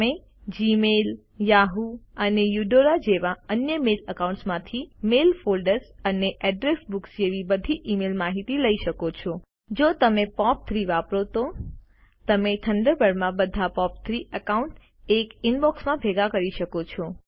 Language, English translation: Gujarati, You can import all your email data like Mail folders and Address book from other mail accounts like Gmail, Yahoo and Eudora If you use POP3, you can Combine all POP3 accounts into a Single Inbox in Thunderbird